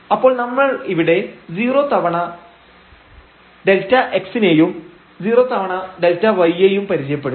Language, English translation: Malayalam, So, we have just introduced here 0 times delta x and 0 times delta y